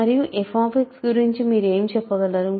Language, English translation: Telugu, And what can you say about f X